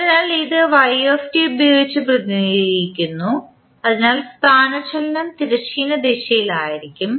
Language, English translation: Malayalam, So, it is represented with y t, so displacement will be in the horizontal direction